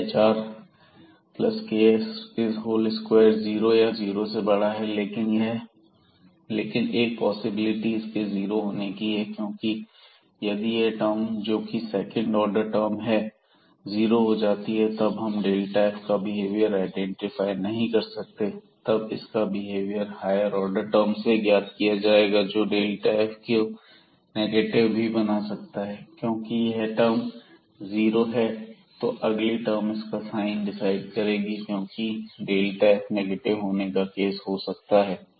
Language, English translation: Hindi, It k hr plus ks whole square, so this is definitely greater than equal to 0, but there is a possibility of having equal to 0 because if this term the second order term becomes 0 then we cannot identify the behavior of this delta f because, then the behavior will be determined from the other higher order terms which can make this delta f to negative as well because, if this term is 0 the next term will decide the sign because that might be the case that delta f is negative